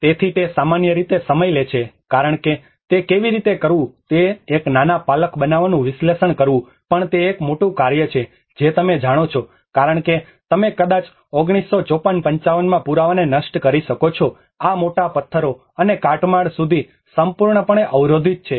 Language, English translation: Gujarati, \ \ So, it normally takes time because even analyzing to make a small scaffolding how to do it is also a big task you know because you might destroy the evidence like in 1954 55 this has been completely blocked up to the big boulders and debris